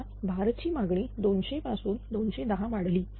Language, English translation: Marathi, Suppose load demand has increased from 200 to say 210